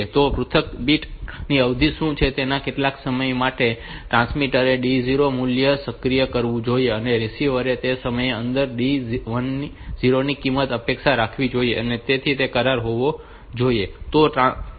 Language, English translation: Gujarati, So, this transmitter should activate the value of D 0 for that much time and receiver should expect that value of D 0 within that time, so that way that that agreement should be there